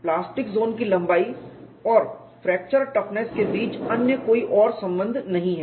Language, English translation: Hindi, There is no other correction between plastic zone length and fracture toughness